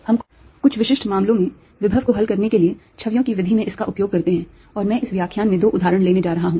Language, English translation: Hindi, this is what we use in method of images to solve for the potential in certain specific cases and i am going to take two examples in this lectures